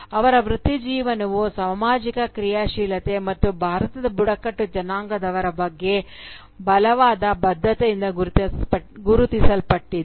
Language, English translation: Kannada, Her career was also marked by social activism and a strong commitment towards the tribal population of India